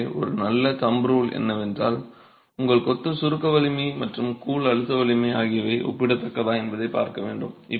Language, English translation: Tamil, So, a good thumb rule is to see if your masonry compressive strength and the grout compressive strength are comparable